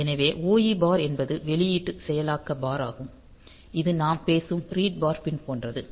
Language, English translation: Tamil, So, OE bar is the output enable bar which is same as the read bar pin that we are talking about